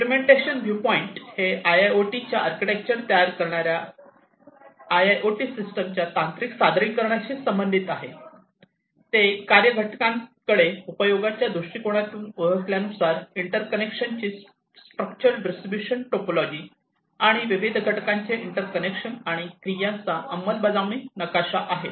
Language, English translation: Marathi, Implementation viewpoint relates to the technical presentation of the IIoT system generating architecture of the IIoT, it is structure distribution topology of interconnection, and interconnection of different components, and the implementation map of the activities, as recognized from the usage viewpoint to the functional components